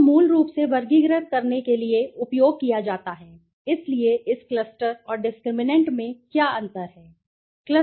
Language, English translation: Hindi, The cluster is basically used to classify, so then, what is the difference between this cluster and discriminant